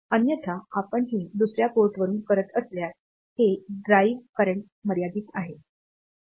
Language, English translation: Marathi, Otherwise if you are doing it for from other ports; so, this the drive current is limited